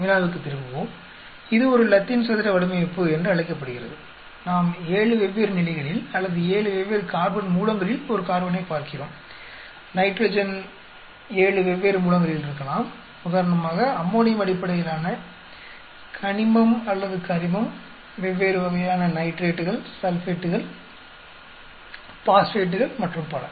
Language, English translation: Tamil, Let us go back to the problem and this is called a Latin square design, we are looking at a carbon at 7 different levels or 7 different sources of carbon, nitrogen may be at 7 different sources of nitrogen like ammonium based, inorganic or organic, different types of nitrates, sulphates, phosphates and so on